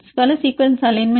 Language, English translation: Tamil, Multiple sequence alignment